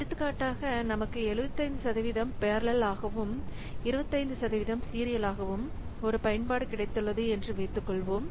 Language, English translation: Tamil, So, for example, suppose we have got an application where 75% is parallel and 25% is serial